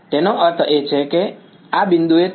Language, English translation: Gujarati, A; that means, at this point right